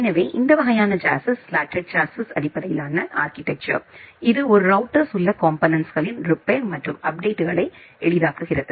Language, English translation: Tamil, So, this kind of a chassis slotted chassis based architecture, it simplifies the repairs and updates of components inside a router